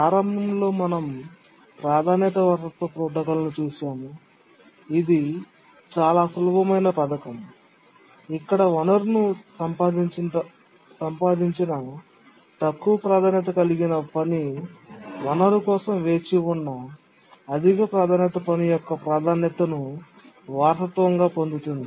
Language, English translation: Telugu, Initially we had looked at the priority inheritance protocol which is a very simple scheme where a lower priority task which has acquired a resource inherits the priority of a higher priority task waiting for the resource but then the basic priority inheritance scheme had two major problems